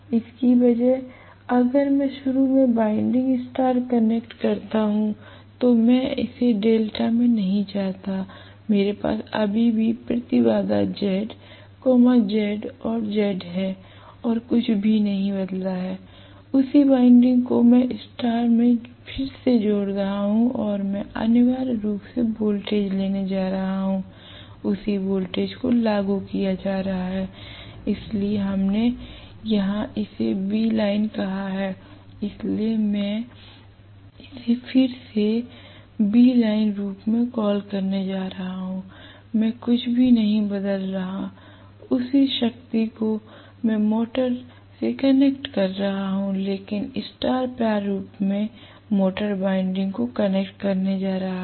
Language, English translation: Hindi, Rather than this, if I try to make initially the winding get connected in star, I do not want it in delta, I want the same thing in star right, so I will still have the impedance to be Z, Z and Z nothing has changed, the same winding I am reconnecting in star right and I am going to have essentially the voltage, the same voltage is going to be applied, so here we called this as V line, so I am going to again call this as V line, I am not changing anything the same power I am connecting to the motor but am going to connect the motor windings in star format, that is all